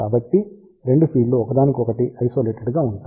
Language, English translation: Telugu, So, both the feeds will be isolated from each other